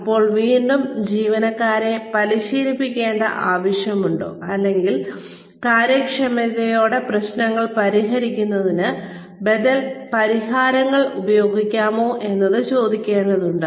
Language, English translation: Malayalam, Then, one needs to again, ask the question, whether there is really a need to train employees, or, whether alternative solutions can be used, in order to fix the problems, with efficiency